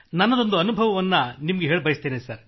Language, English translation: Kannada, I would love to share one of my experiences